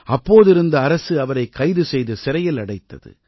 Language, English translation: Tamil, The government of that time arrested and incarcerated him